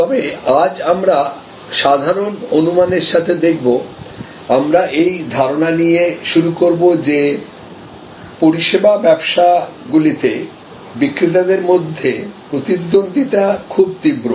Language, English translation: Bengali, But, today we will look at with the general assumption, we will start that in service businesses rivalry on sellers is very intense